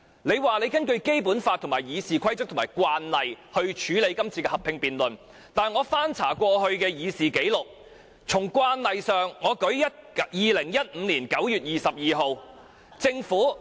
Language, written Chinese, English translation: Cantonese, 你說是根據《基本法》、《議事規則》和慣例處理今次的合併辯論，但我翻查過去的議事紀錄，按慣例來說 ，2015 年9月22日政府......, You said that the decision to hold a joint debate was made in accordance with the Basic Law RoP and established practices but after looking up the previous records of proceedings I noticed that in respect of previous practices on 22 September 2015 the Government